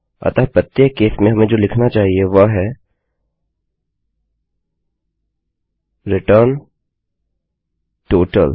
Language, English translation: Hindi, So, in each case what we should say is return total